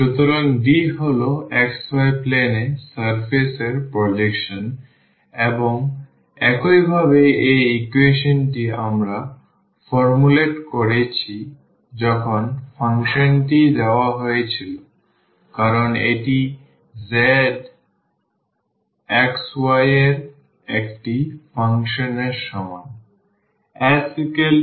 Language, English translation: Bengali, So, D is the projection of the surface in the xy plane and similarly because this equation we have formulated when the function was given as this z is equal to a function of xy